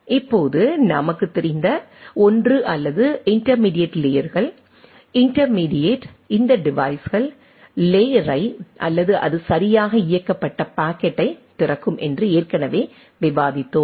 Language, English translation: Tamil, Now, one as we know or we have already discussed that intermediate layers, intermediate these devices are open up the layer or the packet up to which it is enabled right